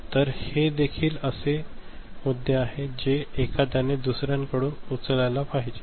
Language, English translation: Marathi, So, these are also issues by which one has to pick up one from the other